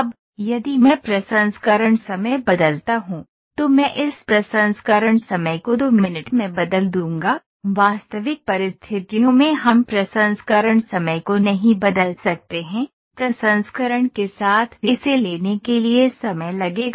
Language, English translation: Hindi, And I change this processing time also to 2 minutes in actual conditions we cannot change the processing time with the processing that it has to take it would take